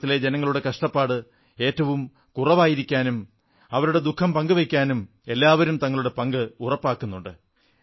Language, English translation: Malayalam, Everyone is trying to ensure speedy mitigation of the sufferings people in Kerala are going through, in fact sharing their pain